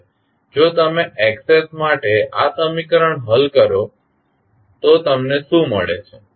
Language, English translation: Gujarati, Now, if you solve for Xs this particular equation what you get